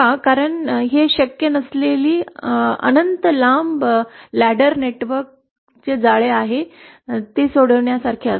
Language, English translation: Marathi, Because it will be like solving an infinitely long ladder network which is not possible